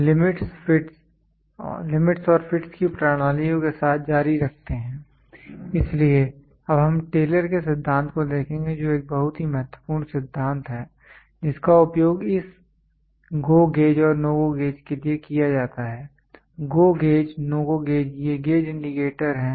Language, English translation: Hindi, Continuing with systems of Limits and Fits; so, we will now look at Taylor’s principle which is a very important principle, which is used for this GO gauge and NO GO gauge; GO gauge NO GO gauge these gauges are indicator gauges